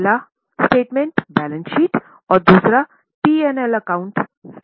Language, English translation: Hindi, The first statement was balance sheet, the second statement was P&L account